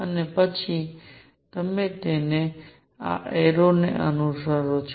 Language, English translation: Gujarati, And then you fill them according to this arrow